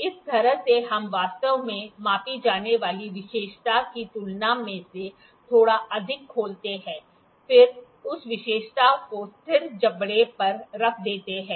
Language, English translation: Hindi, This is the way actually we open it a little more than the feature to be measured, then place the feature that is surrender to the fixed jaw